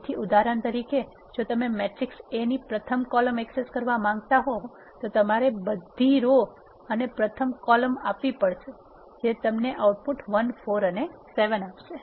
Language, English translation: Gujarati, So, for example, if you want to access first column of the matrix A, what you need to do is A of all the rows and first column which will give you the output 1 4 7